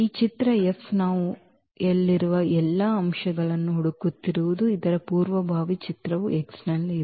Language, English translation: Kannada, So, image F what we are looking for the all the elements in y whose pre image is there in X